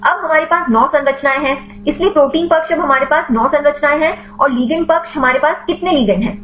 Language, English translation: Hindi, Now we have 9 structures; so, protein side we have now we had sets 9 structures and the ligand side how many ligands we have